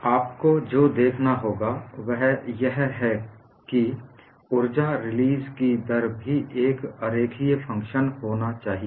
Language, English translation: Hindi, So, what you will have to look at is the energy release rate also has to be a non linear function